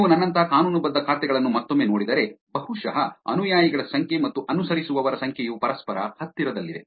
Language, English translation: Kannada, If you look at again legitimate accounts like mine, probably the number of followers and the number of followings\ are actually very close to each other